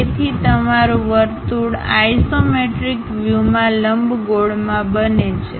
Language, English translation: Gujarati, So, your circle converts into ellipse in the isometric view